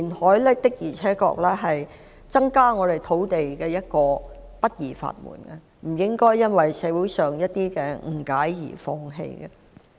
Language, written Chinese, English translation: Cantonese, 香港過去的歷史告訴我們，填海的確是增加土地的不二法門，不應該因為社會上的一些誤解而放棄。, The history of Hong Kong tells us that reclamation is undeniably the most effective means to increase land supply which should not be given up due to some misunderstandings in society